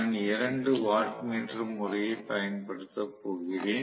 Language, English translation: Tamil, I am going to use 2 watt meter method clearly